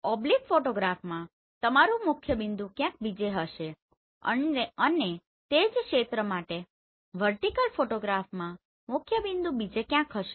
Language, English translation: Gujarati, So in a oblique photograph your principal point will be somewhere else in a vertical photograph your principal point will be somewhere else for the same area